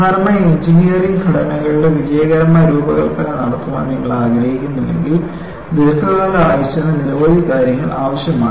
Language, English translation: Malayalam, So, finally, if you want to have a successful design of engineering structures, for long term life, requires many things